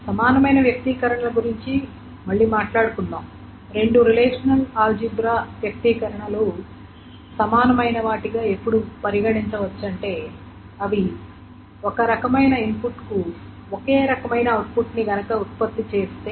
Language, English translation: Telugu, As I said, two expressions to relational algebra expressions are equivalent if they generate the same set of output for the same set of input